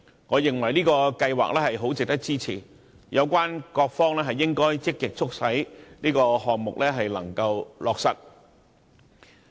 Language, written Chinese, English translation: Cantonese, 我認為這個計劃很值得支持，有關各方應積極促成此項目。, So I think this project is worthy of support and relevant parties should make every effort to take this project forward